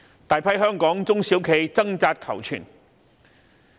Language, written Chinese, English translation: Cantonese, 大批香港中小型企業掙扎求存。, A large number of small and medium enterprises in Hong Kong are struggling